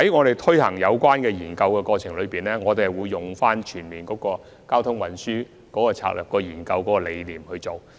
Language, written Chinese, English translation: Cantonese, 在進行有關研究的過程中，我們會採用全面的交通運輸策略研究理念。, During the course of conducting the study we will adopt the concept of developing a comprehensive transportation strategy